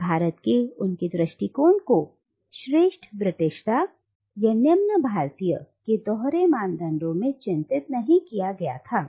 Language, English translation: Hindi, And their approach to India was not marked by a belief in the binary of superior Britishness and inferior Indianness